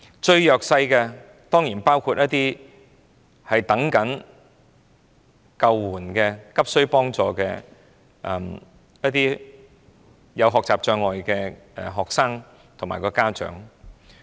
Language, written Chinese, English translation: Cantonese, 最弱勢的當然還包括一些急需幫助、有學習障礙的學生及其家長。, Students with learning disabilities who are urgently in need of help and their parents are of course among the most underprivileged